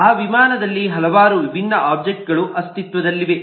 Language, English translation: Kannada, the several different objects exist in that airplane